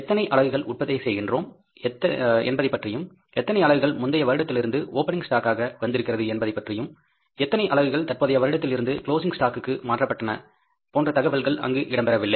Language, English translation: Tamil, We were not given that how many units we are producing, how many units are coming as the opening stock from the previous period, and how many units are transferred to the closing stock from the current period